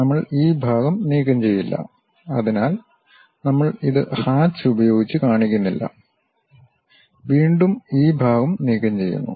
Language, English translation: Malayalam, We did not remove this part; so, we do not show it by hatch and again this part is removed